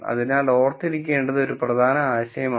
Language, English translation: Malayalam, So, it is an important idea to remember